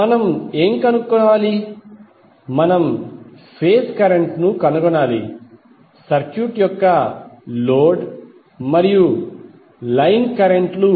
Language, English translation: Telugu, What we have to find out, we have to find out the phase current of the load and the line currents of the circuit